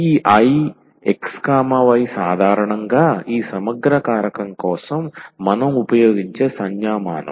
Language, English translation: Telugu, So, this I x, y usually the notation we will use for this integrating factor